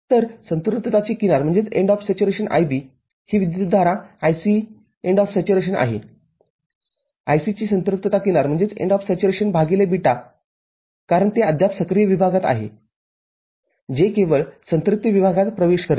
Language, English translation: Marathi, So, edge of saturation IB is what this IC IC edge of saturation divided by β because, it is still in active region it just entering the saturation region